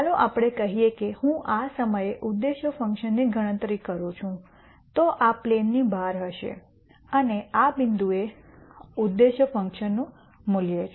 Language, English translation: Gujarati, Let us say I compute the objective function at this point then this is going to be outside the plane and this is a value of the objective function at this point